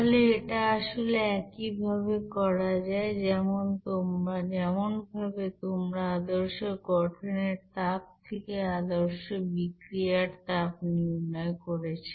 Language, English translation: Bengali, So, this is basically the same way, how you are calculating the standard heat of reaction from the standard heat of formation